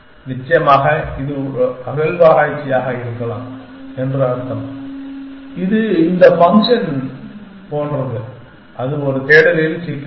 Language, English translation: Tamil, Of course, it means that may be this is an excavation maybe it is like this function like that that real one problems a search there it is not